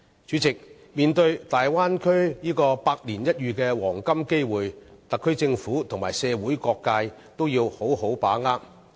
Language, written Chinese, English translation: Cantonese, 主席，面對大灣區帶來百年一遇的黃金機會，特區政府和社會各界也要好好把握。, President both the Government and the various social sectors of the in the Special Administrative Region SAR should firmly grasp this golden opportunity in a century brought about by the Bay Area